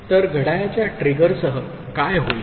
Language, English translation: Marathi, So, with clock trigger what will happen